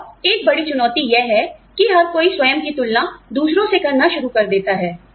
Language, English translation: Hindi, And, one big challenge is that, everybody starts comparing, herself or himself, to others